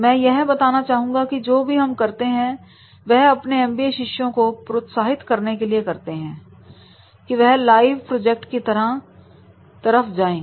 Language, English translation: Hindi, I would also like to mention that what we do that we encourage our MBA students that is to go for the live projects